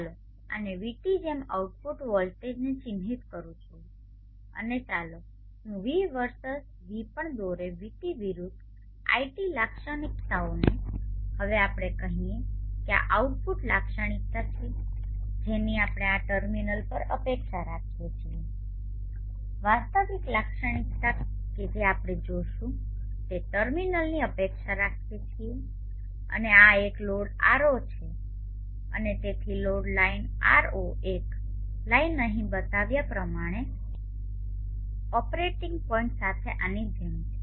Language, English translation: Gujarati, And therefore we will not have the loss as we saw in the gear in the earlier case or earlier model let me mark the output voltage like this as R et and let me also draw the V versus VD versus I Characteristic like this and we let us say this is the output characteristic that we expect across these terminals the actual characteristic that we expect across the terminals that we would see and this has a load R 0 and therefore the load 9 the one my are not line is like this with the operating point as shown here